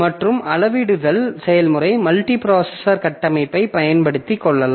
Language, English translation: Tamil, And scalability, the process can take advantage of multiprocessor architecture